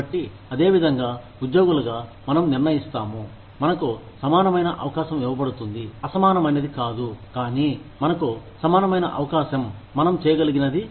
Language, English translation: Telugu, So, that is how, we as employees decide, whether we are being given an equal opportunity, not unequal, but, an equal opportunity to do, whatever we can do